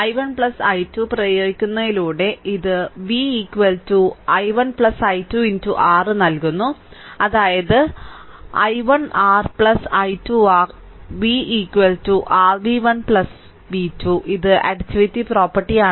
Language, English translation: Malayalam, By applying i 1 plus i 2 it gives v is equal to i 1 plus i 2 into R that is i 1 r plus i 2 R then v is equal to your v 1 plus v 2 this is additivity property right